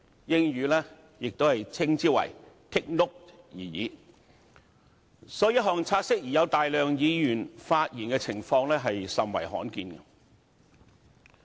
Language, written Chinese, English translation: Cantonese, 所以，有大量議員就一項"察悉議案"發言的情況，甚為罕見。, Hence it was very rare that a large number of Members spoke on a take - note motion